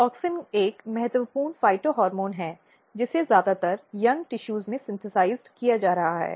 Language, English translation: Hindi, So, auxin; as I said auxin is a very important plant phytohormones which is being synthesized mostly in the young tissues